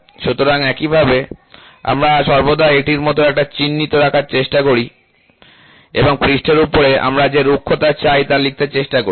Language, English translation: Bengali, So, in a similar manner we always try to put a symbol like this and try to write what is the roughness we want on the surface to do